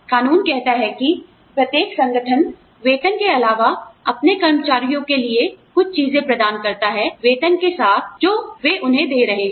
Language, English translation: Hindi, Law mandates that, every organization provides, some things for its employees, in addition to the salary, they are giving their employees